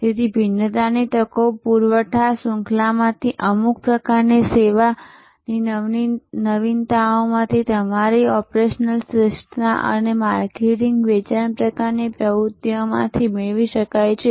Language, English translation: Gujarati, So, differentiation opportunities can be derived out of supply chain, out of certain kinds of service innovation, your operational excellence and marketing sales types of activities